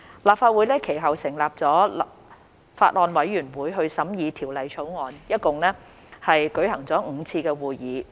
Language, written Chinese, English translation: Cantonese, 立法會其後成立了法案委員會審議《條例草案》，一共舉行了5次會議。, The Legislative Council then formed a Bills Committee to scrutinize the Bill and held a total of five meetings